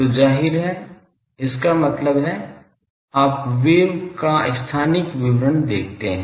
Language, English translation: Hindi, So, obviously; that means, this is a you see spatial description of the wave